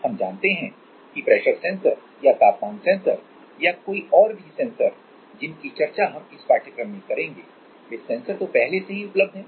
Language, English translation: Hindi, We know that the pressure sensors or temperature sensors whatever sensors we are discussing going to discuss in this course are already existing